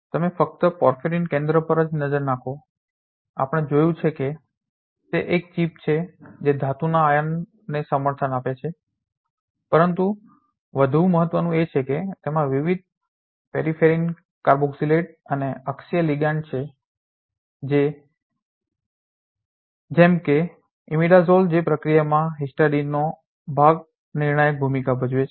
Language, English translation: Gujarati, You let us just take a look at the porphyrin centers we have seen that it is a chip which is supporting the metal ion, but more importantly it has different peripheral carboxylate and axial ligand such as imidazole which is part of the histidine plays a crucial role in the process